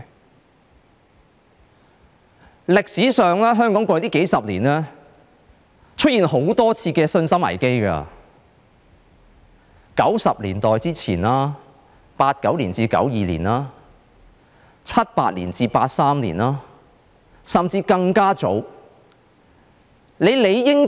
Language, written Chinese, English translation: Cantonese, 在歷史上，香港過去數十年曾出現多次信心危機，是在1990年代之前 ，1989 年至1992年、1978年至1983年，甚至是更早的時期。, Historically Hong Kong has experienced a few confidence crises in the past decades . The crises took place in the time before 1990s during 1989 to 1992 and 1978 to 1983 or even at an earlier period